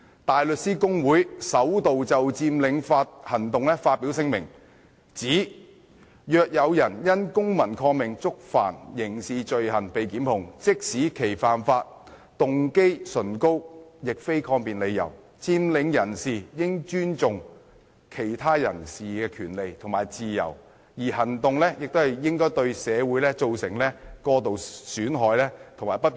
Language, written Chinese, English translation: Cantonese, 大律師公會首度就佔領行動發表聲明，指若有人因公民抗命觸犯刑事罪行被檢控，即使其犯法動機崇高，亦非抗辯理由，佔領人士應尊重其他人士的權利和自由，而行動亦不應對社會造成過度損害及不便。, The Bar Association has for the first time issued a statement saying if a person is charged with a criminal offence even if he has a lofty motive civil disobedience cannot be used as a defence . The occupiers should not only respect the rights and freedom of other people their action should also not cause excessive harm and inconvenience to society